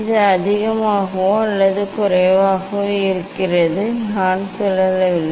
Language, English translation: Tamil, it is more or less it is level I am not rotating